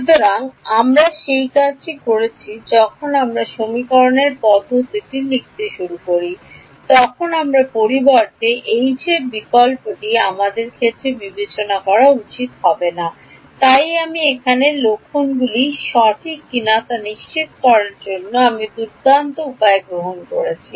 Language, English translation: Bengali, So, we are doing that going from when we start writing the system of equations the H that I substitute has to be unambiguous in terms of the Us that is why I am making taking great means to ensure that the signs are correct over here